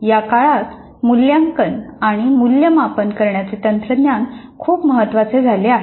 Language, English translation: Marathi, Technology for assessment and evaluation has become very important these days